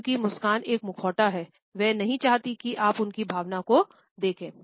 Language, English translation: Hindi, She smiles just a mask, whatever emotion she does not want you to see it